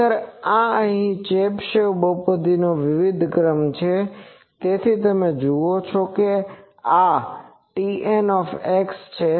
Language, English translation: Gujarati, Actually, this is various order of Chebyshev polynomial sorry here so, you see that it is a T n x